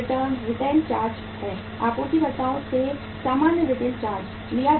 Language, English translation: Hindi, Rental charges are, normal rental charges are taken from the suppliers